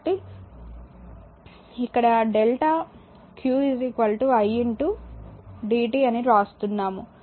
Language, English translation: Telugu, So, here we are writing delta eq is equal to i into dt right